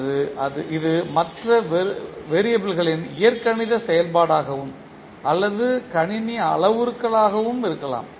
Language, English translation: Tamil, Or it can be an algebraic function of other constants and, or system parameters